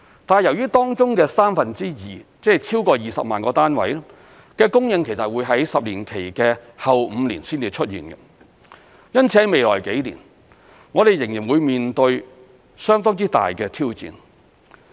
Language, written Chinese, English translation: Cantonese, 但是，由於當中的三分之二的供應會在10年期的後5年才出現，因此，在未來幾年我們仍然會面對相當之大的挑戰。, However since two thirds of the supply will only come into existence in the last five years of the 10 - year period we will still face considerable challenges in the next few years